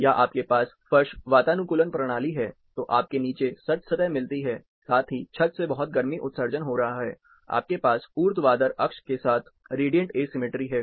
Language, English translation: Hindi, Or you have under floor air conditioning system, you get the chill surfaces in the bottom, plus the ceiling is emitting, the roof is emitting lot of heat, you have radiant asymmetry along the vertical axis